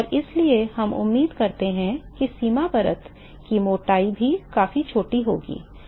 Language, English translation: Hindi, So, we expect even the boundary layer thickness to be significantly smaller and